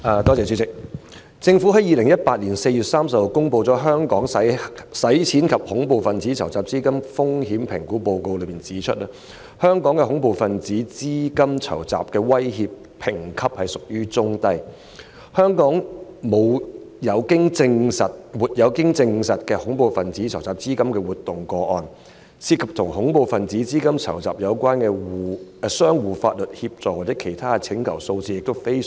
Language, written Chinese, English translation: Cantonese, 政府在2018年4月30日公布《香港的洗錢及恐怖分子資金籌集風險評估報告》，當中指出香港的恐怖分子資金籌集威脅評級屬於中低水平，香港沒有經證實的恐怖分子資金籌集活動個案，涉及與恐怖分子資金籌集有關的相互法律協助或其他請求數字亦非常少。, The Government published the Hong Kongs Money Laundering and Terrorist Financing Risk Assessment Report on 30 April 2018 . The Report points out that the terrorist financing threat of Hong Kong is assessed as medium - low; there is no confirmed case of terrorist financing activity in Hong Kong; and the very small number of mutual legal assistance or other information requests bears out this understanding